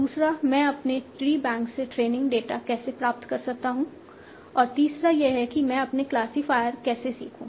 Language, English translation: Hindi, Second, how do I derive training data from my tree banks and third is how do I learn my classifiers